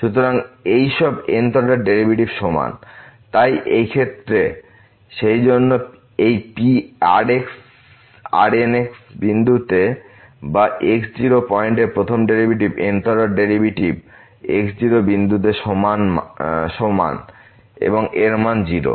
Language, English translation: Bengali, So, all these th order derivative are equal, so in this case therefore this at point or the first derivative at point naught the th derivative at point naught all are equal to 0